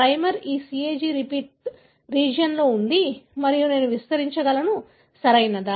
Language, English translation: Telugu, The primer is flanking this CAG repeat region and I can amplify, right